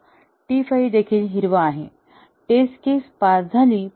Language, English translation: Marathi, So, T 5 is also green; the test case passed